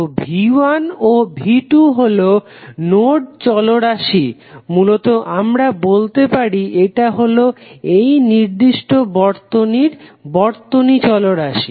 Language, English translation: Bengali, So, V 1 and V 2 would be the node variables basically we can say it as a circuit variable for this particular circuit